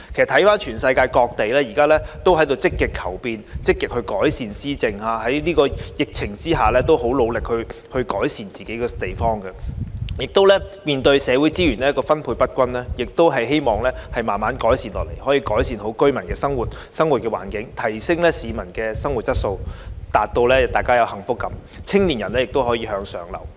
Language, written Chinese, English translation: Cantonese, 環顧世界各地都在積極求變，積極改善施政；在疫情之下，很努力改善自己的地方；面對社會資源分配不均，則希望可以逐步改善市民的生活環境，提升他們的生活質素，令他們有幸福感，青年人亦可以向上流動。, Countries around the world are taking active steps to pursue changes and improve governance . They put in enormous effort in improving themselves under the pandemic and seek to gradually improve their peoples living environment and enhance their living standards in the face of uneven distribution of social resources so as to bring them the sense of happiness and make upward mobility possible for young people